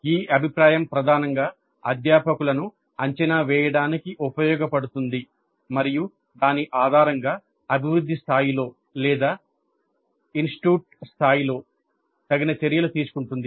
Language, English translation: Telugu, This feedback is primarily used to evaluate the faculty and based on that take appropriate actions at the department level or at the institute level